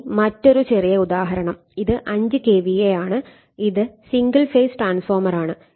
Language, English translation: Malayalam, Now, another small example so, if 5 KVA, single phase it is 1 ∅